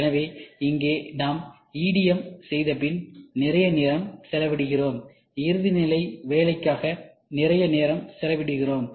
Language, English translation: Tamil, So, here we spend lot of time after doing EDM, we spend lot of time in finishing